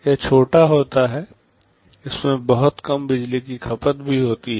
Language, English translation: Hindi, It is small, it also consumes very low power